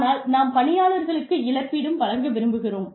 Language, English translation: Tamil, We need to compensate our employees